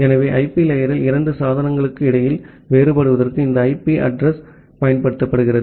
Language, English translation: Tamil, So, to differentiate between two devices at the IP layer, we use this IP address